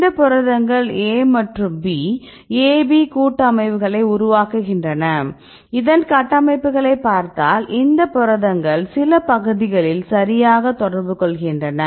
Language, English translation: Tamil, So, these proteins A and B, they form the complex rights AB complex and if you look at these structures you can see the some regions where these proteins can interact right for example this region right